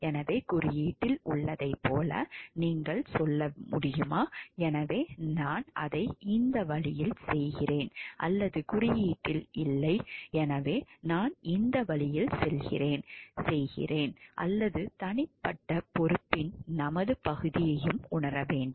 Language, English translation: Tamil, So, can you just tell like it is there in the code so I am doing it in this way or it is not there in the code therefore, I am doing in this way or we should realize our part of individual responsibility also